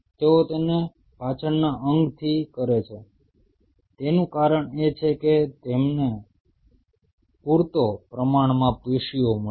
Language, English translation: Gujarati, Reason they do it from the hind limb is that you get sufficient amount of tissue